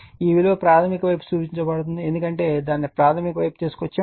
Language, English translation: Telugu, This/ this value called referred to the primary side because everything we have brought it to the primary side, right